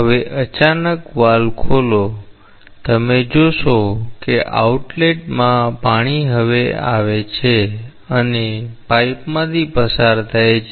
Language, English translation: Gujarati, Now, suddenly open the valve you will see that as the water comes to the outlet and goes through the pipe